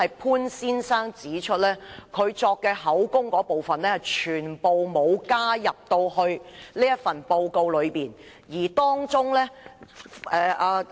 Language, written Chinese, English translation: Cantonese, 潘先生特別指出，他所作的口供全部都沒有記載在報告之中。, Mr POON specifically pointed out that all his statements had not been included in the report